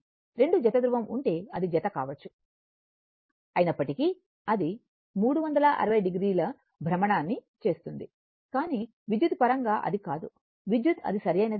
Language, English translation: Telugu, But if it is may pair your if you have 2 pairs of pole, although it will make your what you call that your 360 degree rotation, but electrically it is not, electrically it is not right